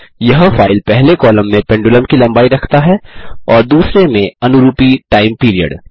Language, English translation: Hindi, This file contains the length of the pendulum in the first column and the corresponding time period in the second